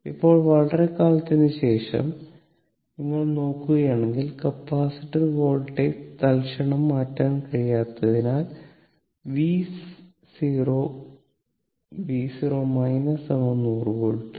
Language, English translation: Malayalam, Now, after a long time, I mean if you look into that the since the capacitor voltage cannot change instantaneously, so v 0 is equal to v 0 minus that is 100 volt